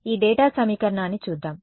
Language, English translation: Telugu, Let us look at this data equation